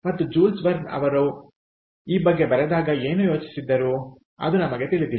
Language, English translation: Kannada, and what jules verne thought about, ah, when he wrote about this, we dont know